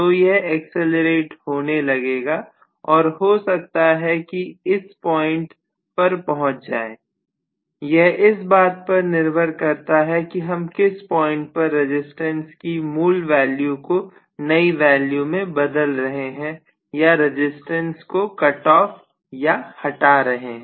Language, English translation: Hindi, So it is going to accelerate and maybe it will reach some point here, it depends upon at what point I am trying to switch from the original value of resistance to the new value of resistance or I cut off the resistance